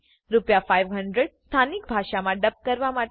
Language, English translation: Gujarati, 500 for dubbing into a local language